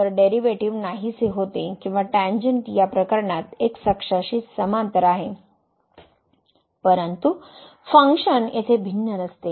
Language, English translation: Marathi, So, the derivative vanishes or the tangent is parallel to the x axis in this case though the function was not differentiable here